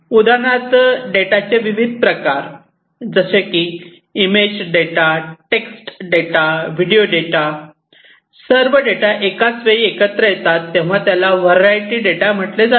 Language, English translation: Marathi, So, variety of data for example, image data, text data, then video data, all coming together at the same time, that is variety